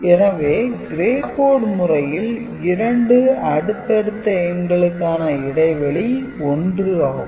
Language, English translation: Tamil, So, in gray code two consecutive numbers are do differ by only 1